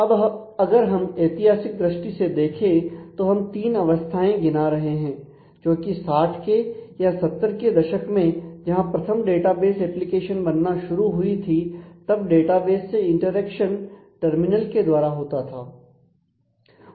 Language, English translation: Hindi, Now, if we historically look at; so, here we are just showing three phases initially 60s and 70s where the first database applications started then the interaction used to be takes based from the terminal